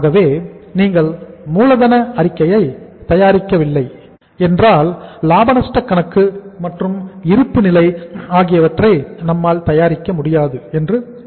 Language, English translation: Tamil, So uh if you are not preparing the working capital statement I think we would not be able to prepare the profit and loss account and balance sheet